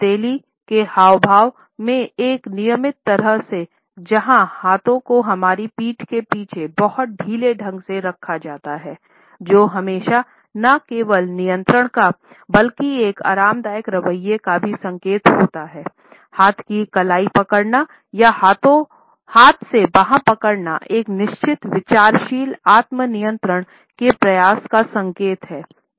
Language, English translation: Hindi, A routine palm in palm gesture where hands are very loosely held behind our back, which is always an indication of not only control, but also of a relaxed attitude, the hand gripping wrist or the hand gripping arm is an indication of certain deliberate attempt at self control